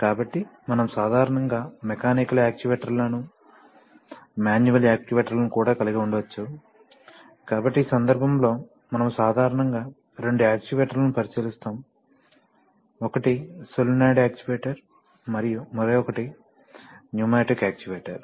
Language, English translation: Telugu, So we can also, typically we can also have mechanical actuators, also manual actuators, so in this case, we will typically look at two actuators, one is a solenoid actuator and the other is an pneumatic actuator